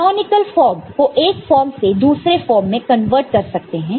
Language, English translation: Hindi, And the canonical form can be converted from one from to another